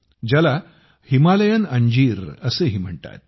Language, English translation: Marathi, It is also known as Himalayan Fig